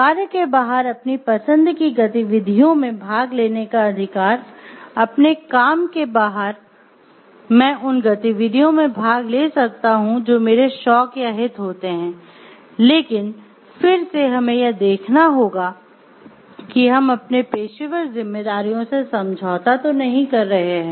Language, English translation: Hindi, The right to participate in activities of one’s choosing outside of work; outside my work I can choose to participate in activities which could be my hobbies or interests, but again we have to see whether we are compromising on our professional responsibilities or not